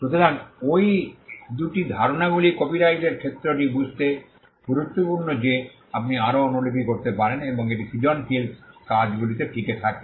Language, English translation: Bengali, So, these two concepts are important to understand the scope of copyright the fact that you can make more copies and it subsists in creative works